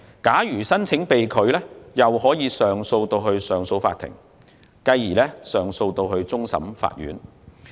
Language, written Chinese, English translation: Cantonese, 假如申請被拒，申請人可以向上訴法庭上訴，繼而可以向終審法院上訴。, If the application is rejected the claimant can appeal to CA and also appeal to CFA later on